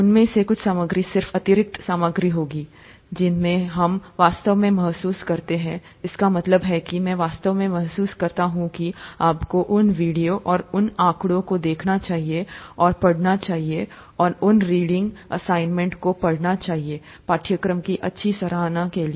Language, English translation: Hindi, Some of those would just be additional material, some of those we really feel, that means I really feel that you should see those videos and those figures and, and go through those reading assignments for a good appreciation of the course